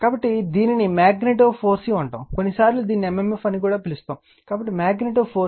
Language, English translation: Telugu, So, this is known as magnetomotive force, sometimes we call it is m m f right, so magnetomotive force